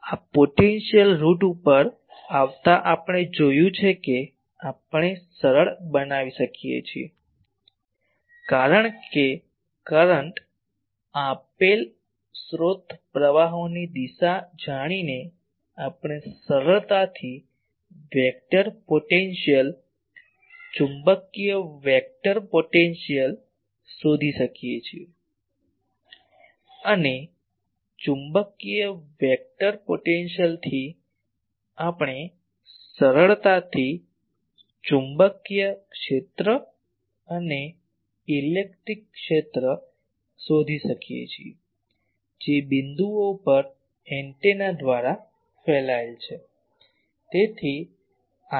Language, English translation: Gujarati, Coming through this potential route we have seen we can simplify because knowing the current given source currents direction we can easily find the vector potential magnetic vector potential, and from magnetic vector potential easily we can find the magnetic field and electric field that is radiated by the antenna at the points ok